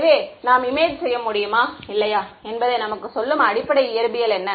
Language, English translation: Tamil, So, what is the sort of underlying physics that tells us whether or not we can image